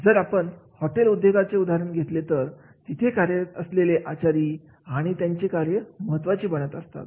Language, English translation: Marathi, If we go for the hotel industries, the chef, the chef job becomes very very important the job